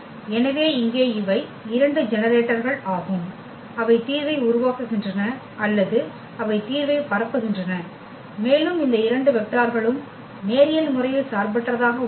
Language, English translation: Tamil, So, here these are the two generators which generates the solution or the they span the solution, also these two vectors are linearly independent